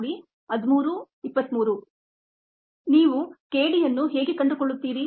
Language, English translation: Kannada, how do you find k d to do that